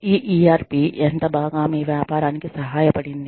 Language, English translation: Telugu, How well, has this ERP, helped your business